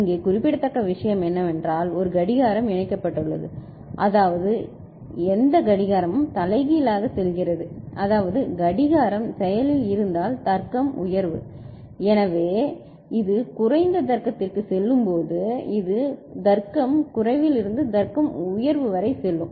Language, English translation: Tamil, And what is notable here is that there is a clock which is connected, I mean whatever clock goes here the inverted the clock if it is active for this is logic high so when it goes to logic low right, so when it goes to logic low so, this will go from logic low to logic high